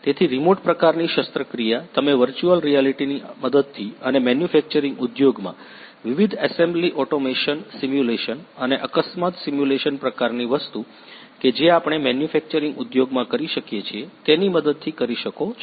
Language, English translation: Gujarati, So, remote kind of surgery you can perform with the help of virtual reality and apart from that in manufacturing industry different assembly automation simulation and how to accidents accident simulation kind of thing we can perform in the manufacturing industry